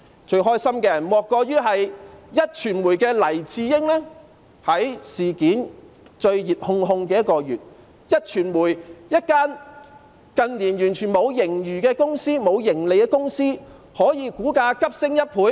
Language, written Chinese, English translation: Cantonese, 最開心的莫過於壹傳媒的黎智英，在事件最熱烘烘的1個月，壹傳媒這間近年完全沒有盈餘或盈利的公司的股價可以急升1倍。, The happiest is certainly Jimmy LAI of Next Digital . In the month when this issue was debated most heatedly the stock price of Next Digital which has recorded neither a surplus nor a profit in recent years could surge by 100 %